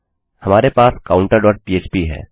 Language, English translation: Hindi, Weve got counter.php